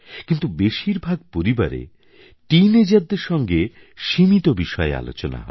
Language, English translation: Bengali, In fact, the scope of discussion with teenagers is quite limited in most of the families